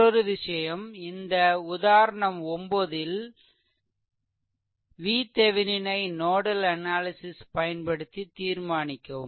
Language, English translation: Tamil, Now, another thing is determine V Thevenin of example 9 using nodal analysis right